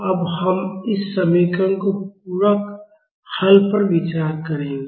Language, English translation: Hindi, Now we will look into the complementary solution of this equation